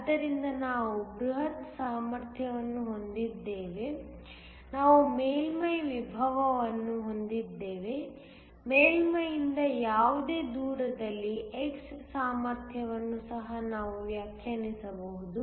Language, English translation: Kannada, So, we have a bulk potential we have a surface potential we can also define the potential at any distance x from the surface